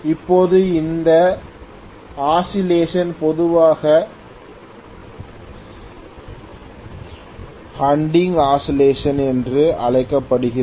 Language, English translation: Tamil, Now, this oscillation is generally known as hunting oscillation